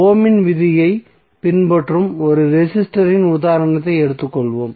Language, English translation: Tamil, Let us take the example for 1 resistor it is following Ohm’s law